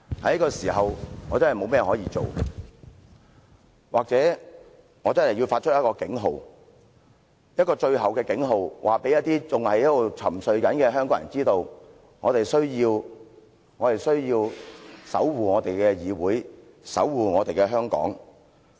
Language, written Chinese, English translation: Cantonese, 在這個時候，我確實沒有甚麼可以做，或者我真的要發出警號，一個最後的警號，告知那些仍在沉睡的香港人，需要守護我們的議會和香港。, There is nothing I can do at this juncture indeed . Perhaps I really have to sound the alarm the final alarm to tell those Hong Kong people who remain deeply asleep that we need to safeguard our legislature and Hong Kong